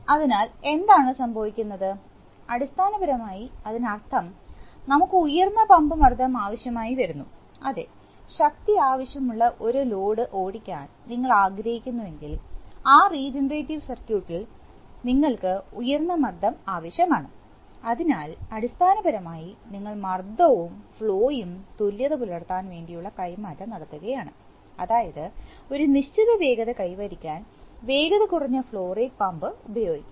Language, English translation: Malayalam, So, what happens is that I mean basically for that is, when we will require higher pump pressure, if we want to drive a load which requires the same force to be driven then in the regenerative circuit, we need higher pressure, so basically, we are trading of pressure with flow that is, we are, we can use a slower flow rate pump to achieve a certain speed